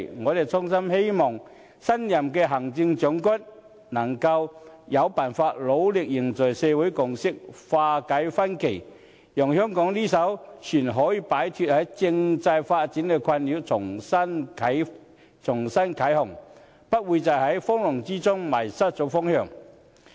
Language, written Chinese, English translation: Cantonese, 我衷心希望新任的行政長官，能夠有辦法努力凝聚社會共識、化解分歧，讓香港這艘船可以擺脫政制發展的困擾，重新啟航，不會在風浪中迷失方向。, I earnestly hope that the new Chief Executive can find a way to build social consensus and dissolve dissension so that Hong Kong can break away from the disturbing constitutional development and start moving forward again without losing its course in the tempest